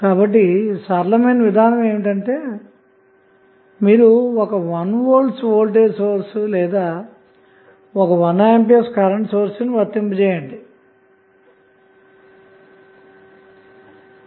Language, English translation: Telugu, So, next the simple approach is either you apply 1 volt voltage source or 1 ampere current source